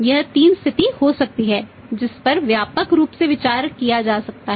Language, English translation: Hindi, These can be 3 situation with having a broadly thought off